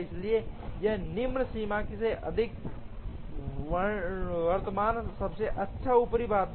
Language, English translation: Hindi, So here the lower bound is higher than the current best upper bound